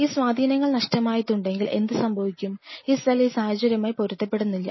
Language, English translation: Malayalam, And if these influences are missing then what will happen is this cell will be de adapting to that situation